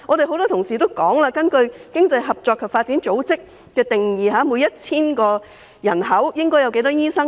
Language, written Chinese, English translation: Cantonese, 很多議員也提到，根據經濟合作與發展組織的標準，每 1,000 名人口應該有多少名醫生？, As many Members have mentioned for every 1 000 people how many doctors should there be according to the standard of the Organisation for Economic Co - operation and Development OECD?